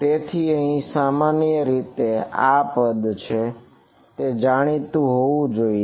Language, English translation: Gujarati, So, typically this is a term which is known it has to be